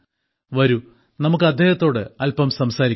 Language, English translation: Malayalam, Come, let's talk to him